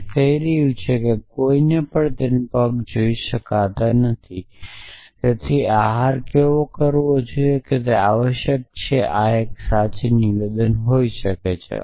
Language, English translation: Gujarati, So, this is saying that is anyone cannot see their feet they should diet essentially this may be a true statement